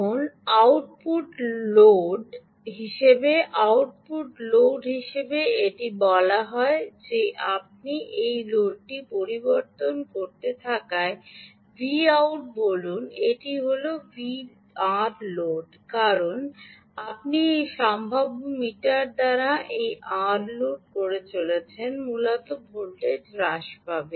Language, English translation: Bengali, this is say, let us say v out, ok, ah, as you keep changing this load, this is r load, right, as you keep loading this r load by this potential meter, um, essentially the voltage will keep dropping